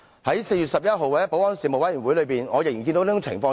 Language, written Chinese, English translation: Cantonese, 在4月11日的保安事務委員會上，我仍然看到這種情況。, In the meeting of the Panel on Security on 11 April I still noticed such a situation